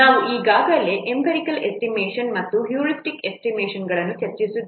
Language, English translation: Kannada, We have already discussed empirical estimation and heuristic estimation